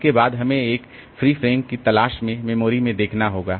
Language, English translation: Hindi, After that we have to look into the memory to in search of a free frame